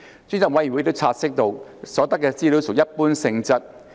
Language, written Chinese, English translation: Cantonese, 專責委員會亦察悉到，所得資料屬一般性質。, The Select Committee has also noted that the information available were general in nature